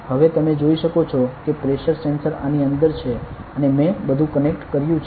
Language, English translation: Gujarati, So, it is like this now you can see that the pressure sensor is within this and I have connected everything